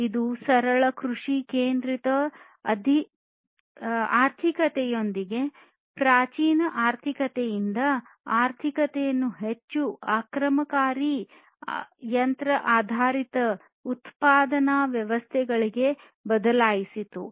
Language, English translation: Kannada, And this basically shifted the economy from the primitive economy with simple agrarian centric economies to more aggressive machine oriented production systems and so on